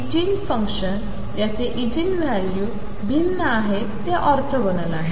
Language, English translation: Marathi, The Eigenigen functions whose Eigen values are different, they are orthogonal